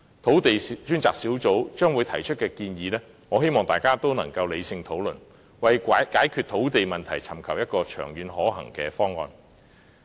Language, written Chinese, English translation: Cantonese, 土地供應專責小組將會提出的建議，我希望大家能理性討論，為解決土地問題尋求一個長遠可行的方案。, The Task Force on Land Supply is going to put forward proposals and I hope that Members will discuss them rationally in order to look for a feasible solution to the land problem long term